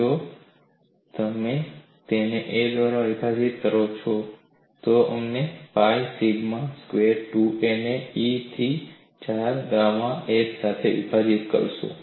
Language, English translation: Gujarati, If, you differentiate it with respect to a, you will get this as pi sigma squared 2a divided by E equal to 4 gamma s